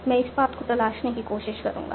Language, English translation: Hindi, So what I will do, I will try to explore that path